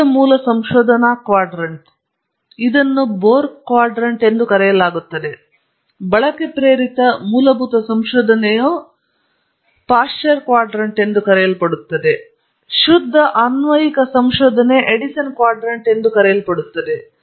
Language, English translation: Kannada, The Pure basic research quadrant is called the Bohr quadrant, Use inspired basic research is called the Pasteur quadrant, Pure applied research is called the Edison quadrant